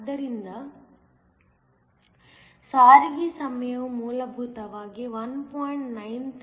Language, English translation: Kannada, So, the transit time is essentially 1